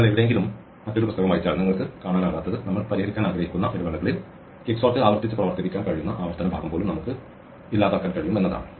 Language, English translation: Malayalam, What we have not seen in which you can see if you read up another book somewhere is that we can even eliminate the recursive part we can actually make quicksort operate iteratively over the intervals on which we want to solve